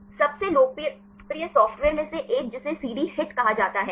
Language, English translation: Hindi, One of the most popular software that is called CD HIT